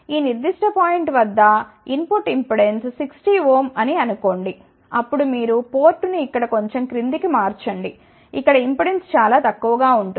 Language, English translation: Telugu, Suppose at this particular point you find input impedance to be 60 ohm, then you shift the port little bit down here where impedance will be relatively small